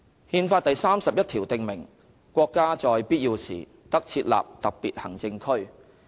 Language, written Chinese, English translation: Cantonese, "《憲法》第三十一條訂明："國家在必要時得設立特別行政區。, Article 31 of the Constitution provides that [t]he State may establish special administrative regions when necessary